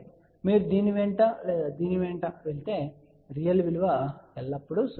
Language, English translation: Telugu, 5, if you move along this or along this, the real value is always going to be 0